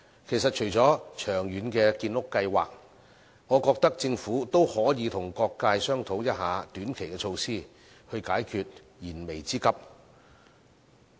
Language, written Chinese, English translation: Cantonese, 其實，除了長遠的建屋計劃，我認為政府也可以與各界商討短期措施，以解燃眉之急。, In fact I think that the Government should discuss with various sectors in introducing short - term measures in addition to long - term housing construction plans so as to address pressing needs